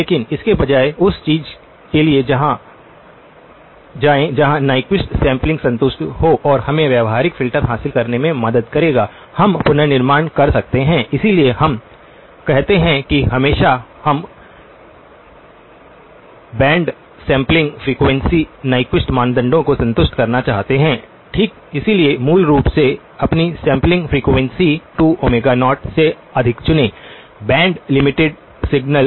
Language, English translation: Hindi, But instead go for something where the Nyquist sampling is over satisfied and that will help us achieve with the practical filters, we can do the reconstruction, (()) (06:40) that is why we say that always we want to over satisfy the Nyquist criteria okay, so basically choose your sampling frequency to be greater than 2 times omega0, the band limited signal okay